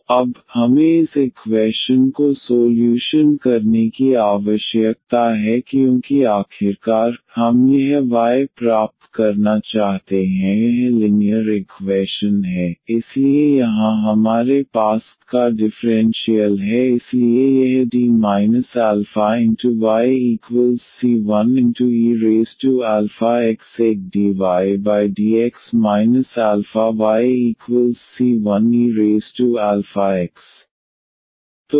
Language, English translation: Hindi, So, now, we need to solve this equation because finally, we want to get this y this is linear equations, so here we have the differential of y so this D of y is a dy over dx minus this alpha times y is equal to the c 1 e power alpha x